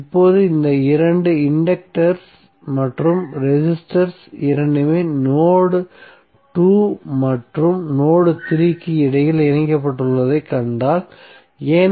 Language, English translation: Tamil, Now if you see this two inductors and resistors both are connected between node 2 and node3, why